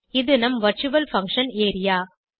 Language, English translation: Tamil, This is our virtual function area